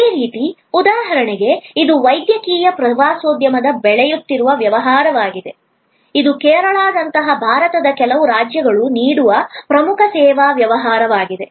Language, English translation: Kannada, Similarly, for example, this is the growing business of medical tourism, this is become a major service business offered by certain states in India like Kerala